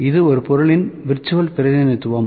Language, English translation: Tamil, This is virtual representation of a physical object, ok